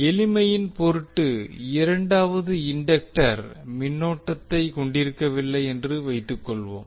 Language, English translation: Tamil, For the sake of simplicity let us assume that the second inductor carries no current